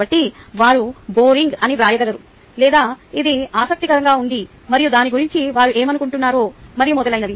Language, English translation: Telugu, so they can write whether it was boring, it was interesting and so on, whatever they feel about it